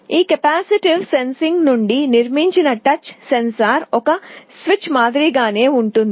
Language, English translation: Telugu, The touch sensor that is built out of this capacitive sensing is similar to a switch